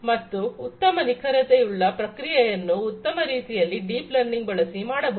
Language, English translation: Kannada, So, better accuracy in a better manner will be done things will be done by deep learning